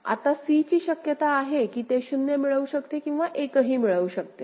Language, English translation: Marathi, Now, at c possibility is that it can get a 0 or it can get a 1 right